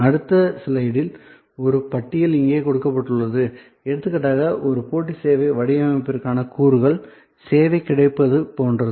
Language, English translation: Tamil, A list is provided in the next slide here for example, for a competitive service design, the elements are like availability of the service